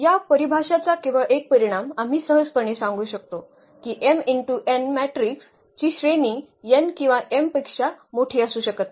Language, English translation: Marathi, Just a consequence of this definition we can easily make it out that the rank of an m cross n matrix cannot be greater than n or m